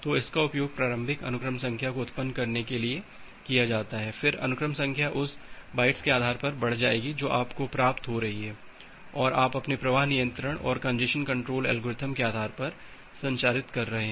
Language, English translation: Hindi, So, that is used for generating the initial sequence number, then the sequence number will incremented based on the bytes that you are receiving and you are transmitting based on your flow control and the congestion control algorithm